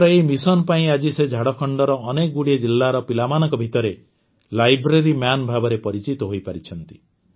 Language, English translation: Odia, Because of this mission, today he has become the 'Library Man' for children in many districts of Jharkhand